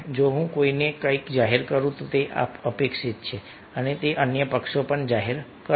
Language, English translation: Gujarati, if i disclose something to somebody, it is expected that the other parties also disclosing